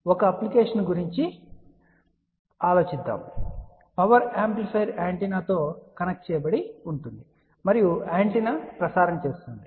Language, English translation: Telugu, And let us think about one of the application that a power amplifier is connected to an antenna and antenna is transmitting